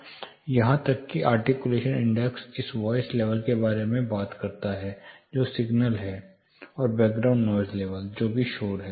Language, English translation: Hindi, Even articulation index it talks about the voice level which is the signal, and the background noise level which is the noise